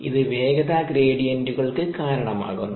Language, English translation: Malayalam, it causes velocity gradients